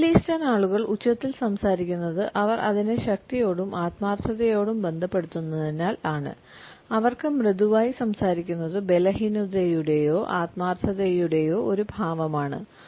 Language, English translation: Malayalam, They have found that middle easterners speak loudly because they associate volume with strength and sincerity, speaking softly for them would convey an impression of weakness or in sincerity